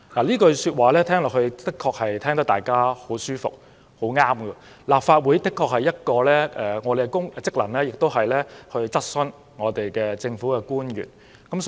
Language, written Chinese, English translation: Cantonese, 這句說話聽來的確十分舒服，好像很有道理，立法會其中一個職能確實是向政府官員提出質詢。, This is really pleasing to the ears and it sounds perfectly reasonable because one of the functions of this Council is to raise questions to public officers